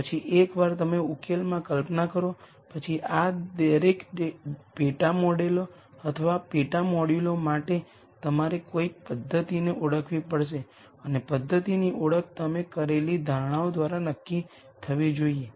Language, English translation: Gujarati, Then once you conceptualize the solution, then for each of these sub models or sub modules you have to identify a method and the identification of the method should be dictated by the assumptions that you have made